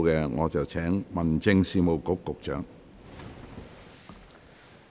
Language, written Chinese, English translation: Cantonese, 我現在請民政事務局局長發言。, I now call upon the Secretary for Home Affairs to speak